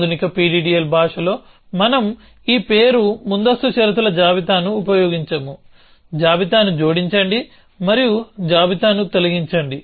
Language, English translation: Telugu, So, in the modern PDDL language we do not use this name precondition list, add list and delete list